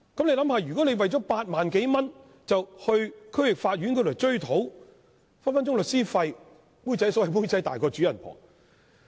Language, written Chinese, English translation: Cantonese, 試想一想，如果市民為了8萬多元在區域法院追討賠償，律師費隨時更昂貴，可謂"妹仔大過主人婆"。, If a member of the public makes the claim of some 80,000 in the District Court the legal fees will easily be higher than the amount claimed . The costs will then be greater than the award so to speak